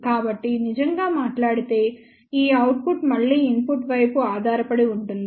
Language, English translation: Telugu, So, this output really speaking depends on again the input side